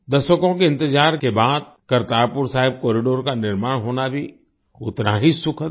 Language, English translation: Hindi, It is equally pleasant to see the development of the Kartarpur Sahib Corridor after decades of waiting